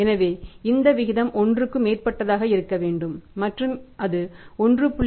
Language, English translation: Tamil, So, it should be 1